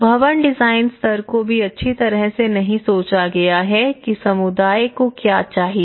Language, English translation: Hindi, So in that way, even the building design level has not been well thought of what the community needs